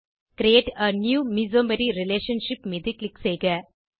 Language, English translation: Tamil, Click on Create a new mesomery relationship